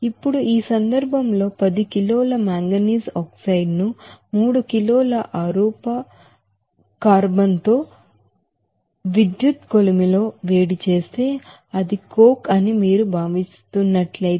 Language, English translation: Telugu, Now in this case, if you consider that if production of metallic manganese that 10 kg of manganese oxide are heated in an electric furnace with 3 kg of amorphous carbon that is coke